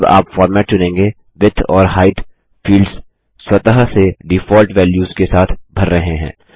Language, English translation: Hindi, When you select the format, the Width and Height fields are automatically filled with the default values